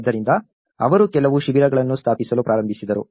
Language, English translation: Kannada, So, this is how they started setting up some camps